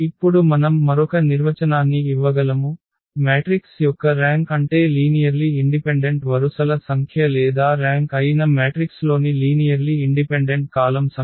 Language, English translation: Telugu, So, what we have, we can now give another definition the rank of a matrix is the number of linearly independent rows or number of linearly independent columns in a matrix that is the rank